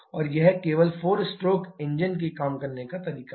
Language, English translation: Hindi, And this is only the way all 4 stroke engines work